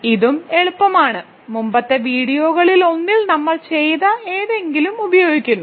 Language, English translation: Malayalam, So, this is also easy, this uses something that we have done in the in one of the previous videos